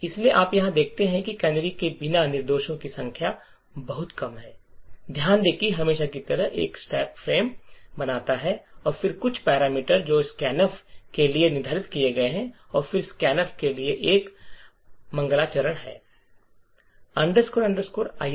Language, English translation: Hindi, So, you notice over here that without canaries the number of instructions are very less, note that as usual there is a stack frame that is created and then some parameters which have been to be set for scan f and then there is an invocation to the scanf